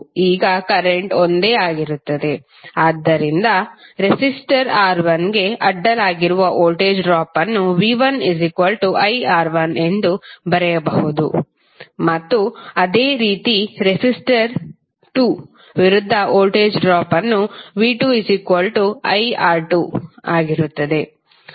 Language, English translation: Kannada, Now the current is same, so drop, voltage drop across the resistor R¬1¬ can be written as v¬1¬ is equal to iR1¬ and similarly voltage drop against resistor, in resistor 2 would be iR¬2¬